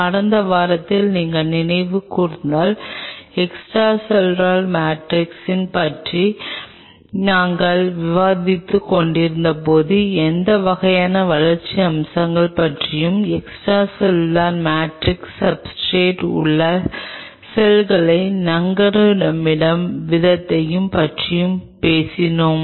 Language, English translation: Tamil, If you recollect in the last week, while we were discussing about the role of extracellular matrix we talked about the kind of developmental aspects and the way the extracellular matrix anchors the cells on the substrate